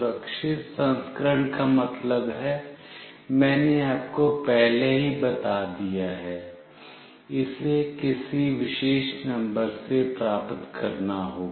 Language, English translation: Hindi, Secure version means, I have already told you, it must receive from some particular number